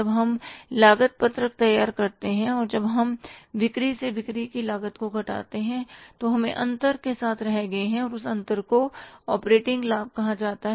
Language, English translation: Hindi, When we prepared the cost sheet and when we subtracted the cost of sales from the sales, we were left with the difference and that difference is called as the operating profit